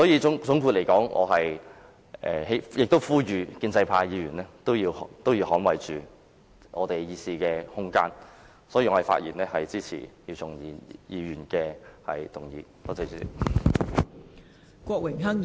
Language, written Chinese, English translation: Cantonese, 總括而言，我呼籲建制派議員捍衞大家的議事空間，並發言支持姚松炎議員的議案。, All in all I call upon pro - establishment Members to safeguard our room for debate and speak in support of Dr YIU Chung - yims motion